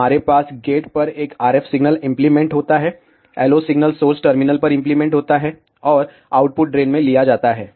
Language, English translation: Hindi, We have an RF signal applied at the gate, LO signal applied at the source terminal, and the output is taken at the drain